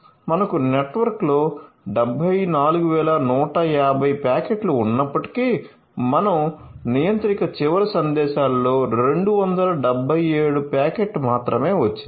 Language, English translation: Telugu, So, although we have 74150 packets in the network, but we have got only 277 packet in messages at the contravariant